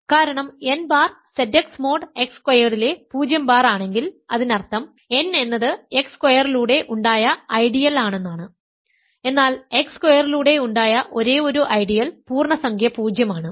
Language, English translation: Malayalam, So, the reason is if n bar is 0 bar in Z x mod x squared; that means, n is in the ideal generate by x squared, but the only integer that is an ideal generate by x squared is 0